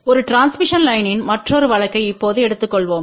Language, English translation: Tamil, Let us just take now another case of a transmission line